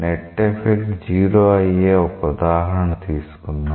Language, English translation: Telugu, So, let us take an example where the net effect is 0